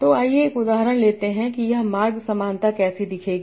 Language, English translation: Hindi, So let's take an example that how, what will this pathway similarity look like